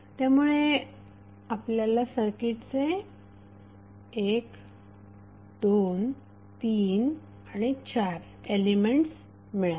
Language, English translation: Marathi, So we got 1, 2, 3 and 4 elements of the circuit